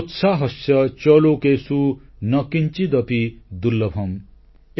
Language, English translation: Odia, Sotsaahasya cha lokeshu na kinchidapi durlabham ||